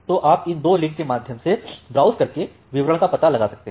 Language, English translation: Hindi, So, you can browse through these two links to find out the details